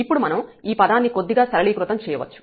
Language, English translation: Telugu, We can simplify little bit this term here